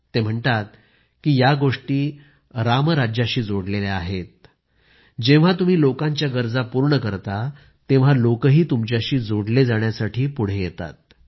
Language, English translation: Marathi, He states that these are matters related to Ram Rajya, when you fulfill the needs of the people, the people start connecting with you